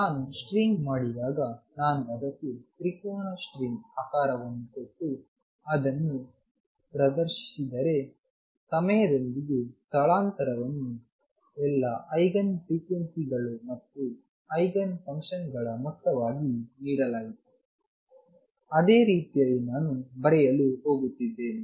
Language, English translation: Kannada, Recall when I did the string and I said if I give it a shape of triangular string and displays it, the with time the displacement was given as a sum of all the eigen frequencies and eigen functions, in exactly the same manner this would I am going to write